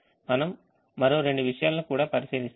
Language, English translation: Telugu, we also look at two more things